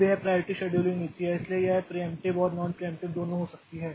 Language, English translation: Hindi, Now this priority scheduling policy so it can be both preemptive and non preemptive